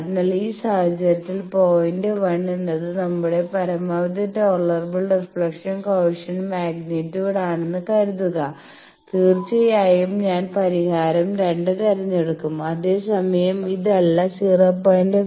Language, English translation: Malayalam, So, in this case suppose if we say that point 1 is our maximum tolerable reflection coefficient magnitude; obviously, I will choose the solution 2 whereas, if someone says no the 0